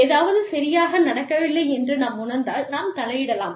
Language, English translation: Tamil, So, if we feel that, something is not going right, we can intervene